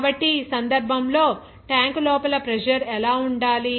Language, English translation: Telugu, So, in this case, what should be the pressure inside the tank